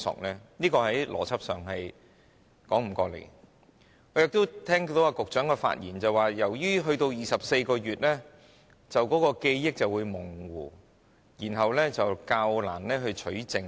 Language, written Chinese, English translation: Cantonese, 我也聽到局長的發言，他說如果把檢控時效限制增至24個月，當事人的記憶便會模糊，然後較難取證。, I have listened to the speech of the Secretary . He said that if the time limit for prosecution were extended to 24 months the memory of the person concerned might fade and evidence collection would hence become more difficult